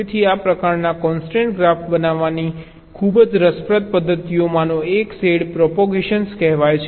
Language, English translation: Gujarati, so one of the very ah interesting methods of generating the this kind of constraint graph is something called shadow propagation